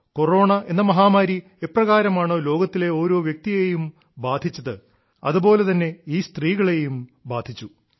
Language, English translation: Malayalam, Just like the Corona pandemic affected every person in the world, these women were also affected